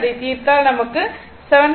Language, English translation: Tamil, So, it is 7